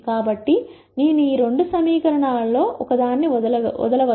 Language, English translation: Telugu, So, I can drop one of these two equations